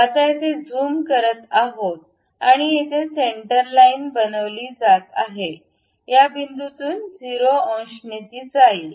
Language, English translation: Marathi, Now, here zooming and here we make a center line which pass through this point with 0 degrees